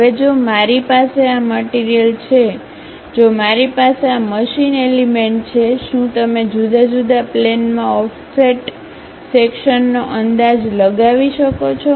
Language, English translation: Gujarati, Now, if I have this material, if I have this machine element; can you guess offset section at different planes